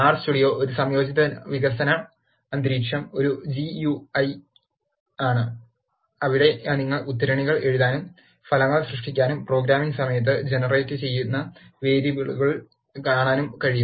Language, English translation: Malayalam, Integrated development environment, is a GUI, where you can write your quotes, see the results and also see the variables that are generated during the course of programming